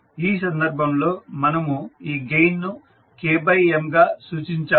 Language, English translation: Telugu, So like in this case we have represented this gain as K by M